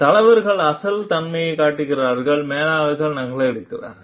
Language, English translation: Tamil, Leaders show originality; managers copy